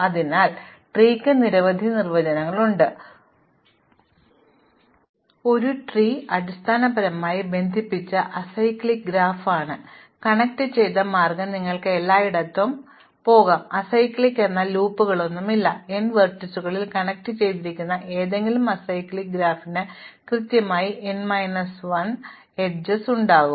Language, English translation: Malayalam, So, there are many definitions of trees, but a tree is basically a connected acyclic graph, connected means you can go from everywhere to everywhere, acyclic means there are no loops and any connected acyclic graph on n vertices will have exactly n minus 1 edges